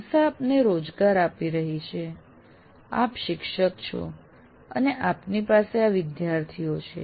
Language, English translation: Gujarati, He's giving you employment, you're a teacher, and these are the students that are with you